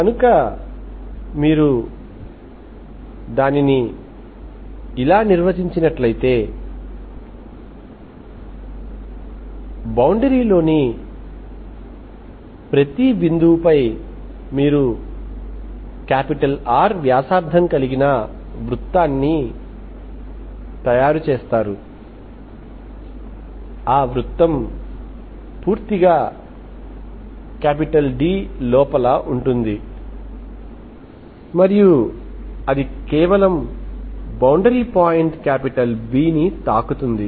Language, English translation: Telugu, So let us work like that, so for every point of the boundary, you make a circle, just inside the circle and with the radius R but it is entirely inside D, okay